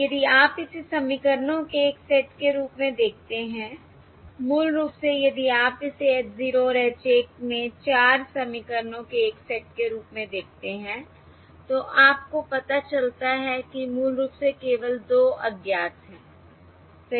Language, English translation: Hindi, If you view this as a set of equations, basically if you view this as a set of 4 equations, in the small h 0 and small h 1, you realise that basically there are only 2 unknowns, correct